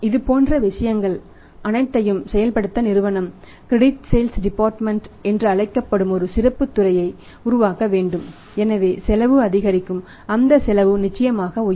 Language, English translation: Tamil, And all these things have to be done the companies have to create a specialised department which is known as the credit sales department of the debt collection department right so the cost goes up that has to be; there that cost will go up certainly that cost will go up